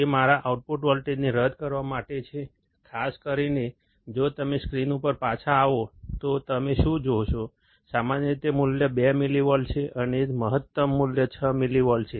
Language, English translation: Gujarati, That is to null my output voltage, typically if you come back on the screen what you will see, typically the value is 2 millivolts, and the maximum the value is 6 millivolts